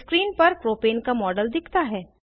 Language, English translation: Hindi, The Model of Propane appears on screen